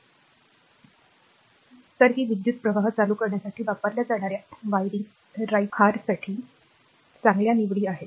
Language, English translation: Marathi, So, they are good choices for wiring right your used to conduct electric current